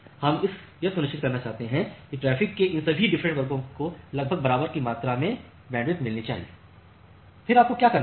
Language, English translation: Hindi, So, we want to ensure that all these different classes of traffic should get almost equal amount of bandwidth, then what you have to do